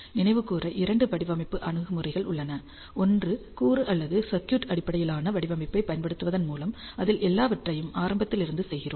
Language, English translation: Tamil, Just to recall ah there are two design approaches, one is ah by using component or circuit based design, where we do everything from scratch